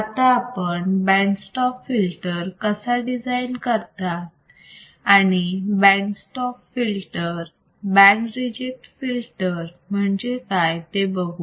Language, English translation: Marathi, Now, once we have seen how the band pass filter can be designed, let us see how band stop filter can be designed, and what are band stop filters, what are band reject filters right